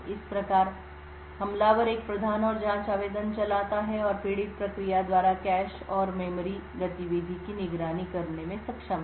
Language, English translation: Hindi, Thus, the attacker runs a prime and probe application and is able to monitor the cache and memory activity by the victim process